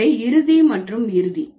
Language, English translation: Tamil, So, final, finalize and finalizing